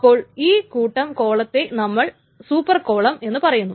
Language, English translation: Malayalam, So then this set of columns is sometimes also called a super column